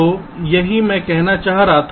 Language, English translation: Hindi, so this is what i was trying to say